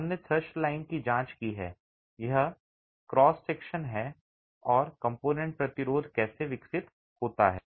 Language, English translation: Hindi, We have examined the thrust line as an understanding of how the resistance of a cross section and the component develops